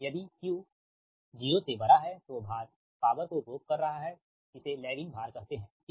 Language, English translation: Hindi, if q greater than zero, it is called lagging load, right